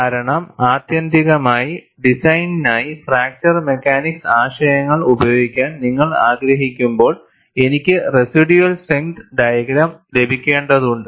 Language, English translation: Malayalam, Because ultimately, when you want to use fracture mechanics concepts for design, I need to get residual strength diagram